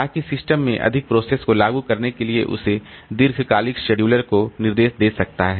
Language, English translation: Hindi, So, that may instruct that long term scheduler to introduce more processes into the system